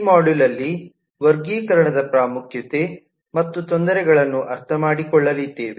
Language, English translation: Kannada, so this module is to understand the importance and difficulties of classification